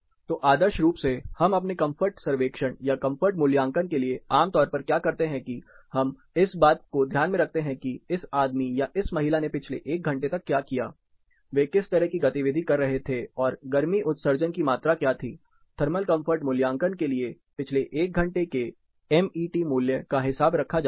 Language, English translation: Hindi, So, ideally what we generally do for our comfort surveys or comfort assessment is; we take into account what this guy or this lady did for the last one hour, what kind of activity they were performing and what is the amount of heat emission, what is a Met value during the last 1 hour is always accounted in thermal comfort calculation